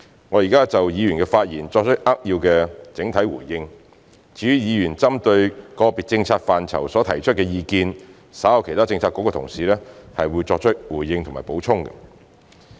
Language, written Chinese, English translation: Cantonese, 我現在就議員的發言作出扼要的整體回應，至於議員針對個別政策範疇所提出的意見，稍後其他政策局的同事亦會作出回應及補充。, I will now give a brief and general response to Members whereas my colleagues from other Policy Bureaux will later respond to and provide additional information on Members views concerning different policy areas